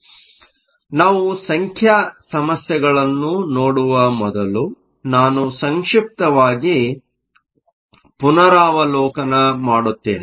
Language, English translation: Kannada, So, before we look at the numeric problems let me do a brief recap